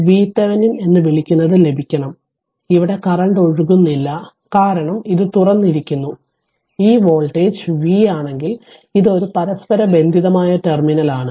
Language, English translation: Malayalam, So, we first we have to obtain your what you call V Thevenin right and no current is flowing here because this is open, and this voltage is V means this is a common terminal